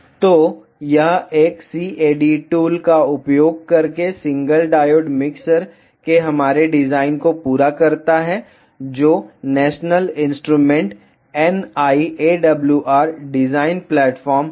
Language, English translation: Hindi, So, this completes are design of a single diode mixer using a CAD tool which is national instruments NI AWR design platform